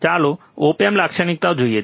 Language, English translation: Gujarati, Let us see the op amp characteristics